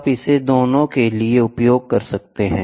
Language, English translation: Hindi, You can use this for both